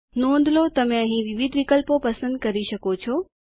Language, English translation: Gujarati, Notice the various options you can choose from here